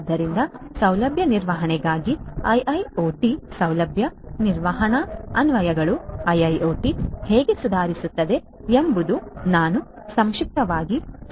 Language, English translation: Kannada, So, how IIoT can improve facility management applications of IIoT for facility management is what we are going to discuss briefly